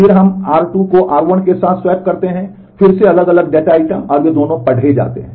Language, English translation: Hindi, Then we swap r 1 with r 2 again different data items and also, they are both of them are read